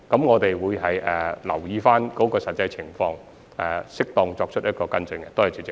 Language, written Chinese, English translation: Cantonese, 我們會留意相關的實際情況，作出適當的跟進。, We will keep the actual situation in view and follow up on the issue as appropriate